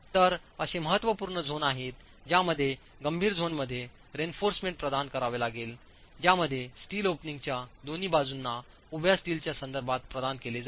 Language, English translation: Marathi, So, there are critical zones in which reinforcement has to be provided and the critical zones in which steel has to be provided with respect to the vertical steel is on either sides of the opening